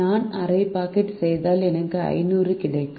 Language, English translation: Tamil, if i make half a packet, i would get five hundred